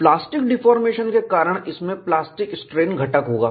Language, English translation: Hindi, Because of plastic deformation, it will have plastic strain component